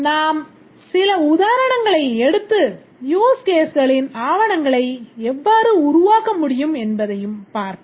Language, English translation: Tamil, We'll take some examples and see how the documentation of the use cases can be developed